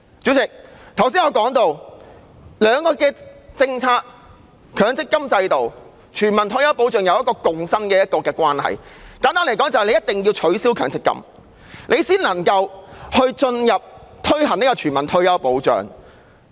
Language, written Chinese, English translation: Cantonese, 主席，我剛才提到，強積金制度及全民退休保障兩項政策有一個共生的關係，簡單來說，政府一定要取消強積金制度才能夠着手推行全民退休保障。, President as I mentioned earlier the MPF System and a universal retirement protection system have a symbiotic relationship . Simply put the Government has to abolish the MPF System before it can start implementing a universal retirement protection system